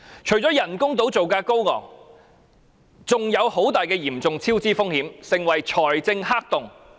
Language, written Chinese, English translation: Cantonese, 除了人工島造價高昂，還潛在龐大的超支風險，成為財政黑洞。, Apart from the high construction cost of artificial islands there are great hidden risks of cost overruns turning the project into a financial black hole